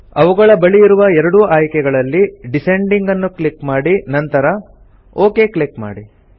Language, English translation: Kannada, Click on Descending in both the options near them and then click on the OK button